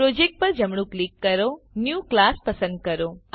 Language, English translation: Gujarati, Right click on the Project , New select Class